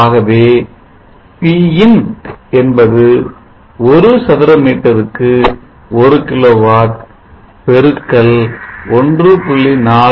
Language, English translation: Tamil, 46 meter square so Pin is one kilowatt per meter square into 1